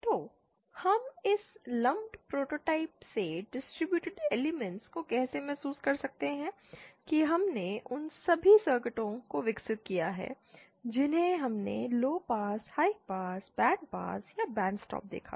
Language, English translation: Hindi, So how can we realise distributed elements from this lumped prototype that we have developed all the circuits that we saw low pass, high pass, band pass or band stop